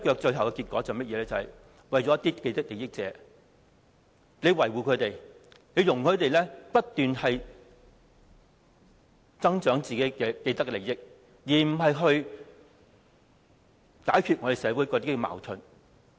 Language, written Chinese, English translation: Cantonese, 最後的結果是維護了一些既得利益者，容許他們不斷增長自己的既得利益，而不是解決社會的矛盾。, As a consequence people with vested interests can be benefited as they can keep on accumulating their vested interests whereas social conflicts are still unresolved